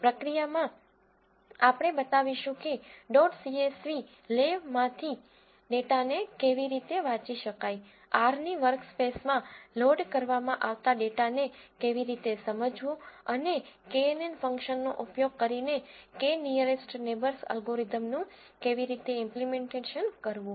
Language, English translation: Gujarati, In the process we will show how to read the data from dot csv le, how to understand the data that is being loaded into the workspace of R and how to implement this K nearest neighbours algorithm in R using this knn function